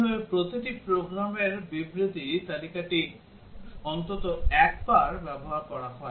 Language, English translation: Bengali, Such that every program statement is exercised at list once